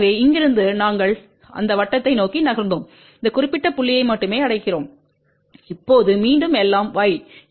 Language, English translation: Tamil, So, from here we moved along that circle only we reach to this particular point now again everything is y